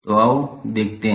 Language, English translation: Hindi, So, let us see